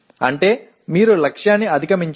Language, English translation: Telugu, That means you have exceeded the target